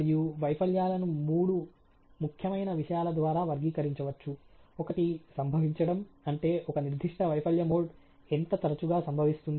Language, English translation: Telugu, And the failure can further be characterize by three important thinks; one is the occurrence; that means, how often a particular failure mode occurs